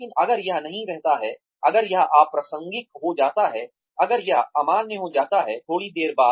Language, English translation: Hindi, But, if it does not stay, if it becomes irrelevant, if it becomes invalid, after a while